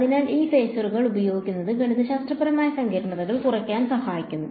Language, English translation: Malayalam, So, this using phasors helps us to reduce the mathematical complication right